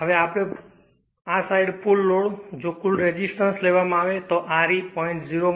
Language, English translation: Gujarati, Now, total load that this side if you take that total resistance that R e is given 0